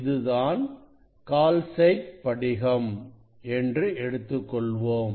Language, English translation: Tamil, this is the calcite crystal; this is the calcite crystal